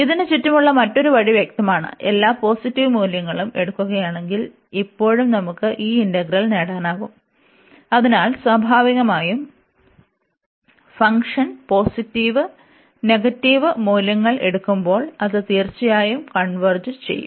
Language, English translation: Malayalam, The other way around this is obvious, because if we taking all the positive value is still we can get this integral, so naturally when we take the when the function takes positive and negative values, it will certainly converge